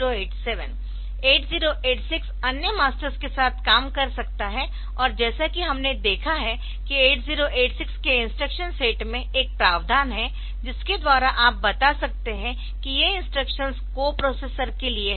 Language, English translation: Hindi, And as we have seen that in instruction set of 8086, there is a provision by which you can tell that this instructions are for the co processors